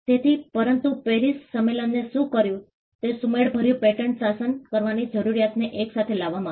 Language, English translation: Gujarati, So, but what the PARIS convention did was it brought together the need for having a harmonized patent regime